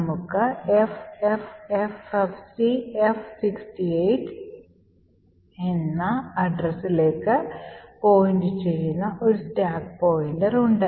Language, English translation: Malayalam, So, we also see that the stack pointer is at the location 0xffffcf68